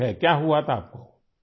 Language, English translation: Urdu, What had happened to you